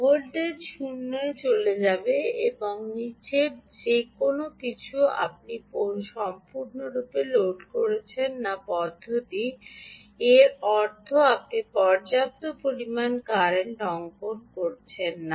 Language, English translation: Bengali, voltage will go to zero and anything below you do, you are not completely loading the system